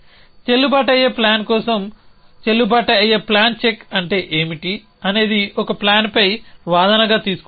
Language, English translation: Telugu, So what is a check for valid plan check for a valid plan takes an as arguments a plan pie